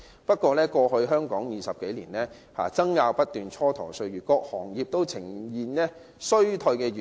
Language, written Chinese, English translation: Cantonese, 不過，香港在過去20多年爭拗不斷，蹉跎了不少歲月，以致各行各業均呈現衰退現象。, However due to incessant wrangling in the past 20 - odd years a lot of time has been wasted . As such various sectors and industries have exhibited signs of recession